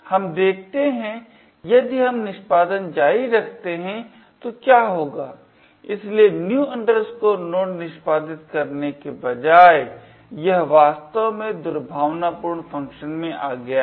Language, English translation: Hindi, Let us see if we continue the execution what would happen, so right enough instead of executing new node it has indeed come into the malicious function